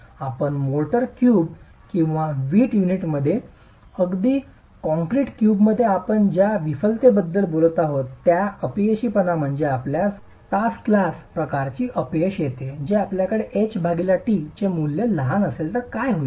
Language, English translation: Marathi, The failure that you that we talked of earlier in the motor cube or the brick unit or even in a concrete cube that you would see is the hourglass kind of failure is what will happen if you have values of H